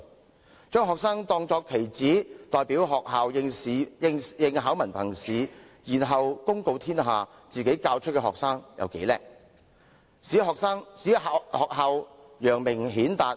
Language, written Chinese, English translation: Cantonese, 學校將學生看作棋子，代表學校應考文憑試，然後公告天下，本校學生有多出色，使學校得以揚名顯達。, Being treated as pawns students are regarded as representing their schools in sitting the HKDSE examination and then their schools will tell the world how brilliant their students are making a name for their schools